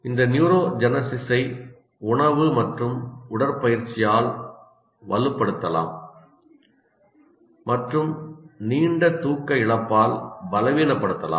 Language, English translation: Tamil, This neurogenesis can be strengthened by diet and exercise and weakened by prolonged sleep loss